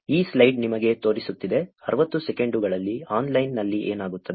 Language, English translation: Kannada, This slide which is showing you, what happens online in 60 seconds